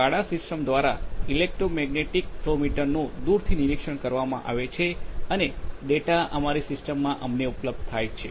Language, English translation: Gujarati, So, the electromagnetic flow meter is monitored remotely through the SCADA system and the data will be available to us in our system